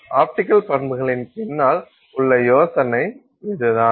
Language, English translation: Tamil, So, this is the idea behind the optical properties